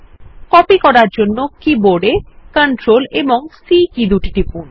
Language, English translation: Bengali, On the keyboard, press the CTRL+C keys to copy